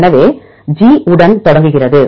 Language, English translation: Tamil, So, it starts with G